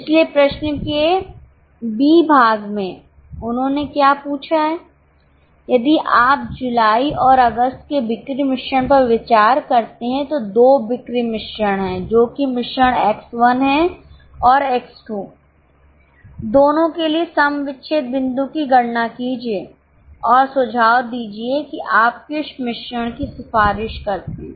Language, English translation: Hindi, So, in B part of question what they have asked is, if you consider the sale mix of July and August as two sales mixes that is mix x1 and x2 compute the break even point for both and suggest which mix do you recommend so in July we have called this plan one or say let us say we can call it as plan X1 and in August it is plan X2